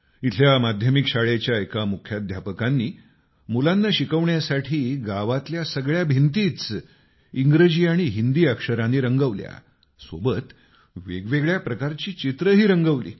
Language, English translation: Marathi, A principal of a middle school there, in order to teach and help the children learn, got the village walls painted with the letters of the English and Hindi alphabets ; alongside various pictures have also been painted which are helping the village children a lot